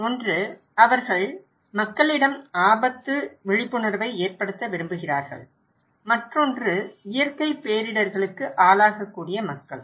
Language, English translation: Tamil, One, they want to make increase people risk awareness, another one is the people who are at risk of natural disasters